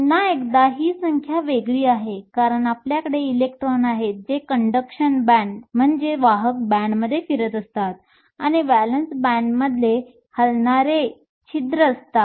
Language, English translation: Marathi, Once again these numbers are different, because you have electrons that are moving in the conduction band and holes that are moving in the valance band